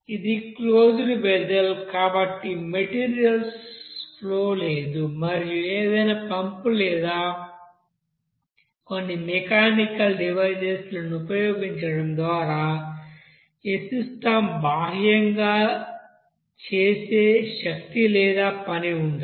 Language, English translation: Telugu, Since it is a closed vessel, there will be no flow of the you know materials there and also there will be no energy or work done on this system externally by any you know pump or some other you know, mechanical device